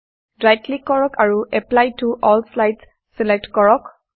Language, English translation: Assamese, Right click and select Apply to All Slides